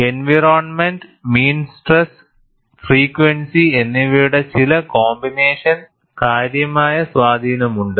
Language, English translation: Malayalam, Certain combinations of environment, mean stress and frequency have a significant influence